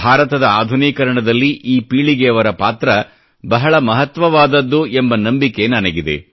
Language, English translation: Kannada, This generation will play a major role in modernizing India; I feel it beyond any doubt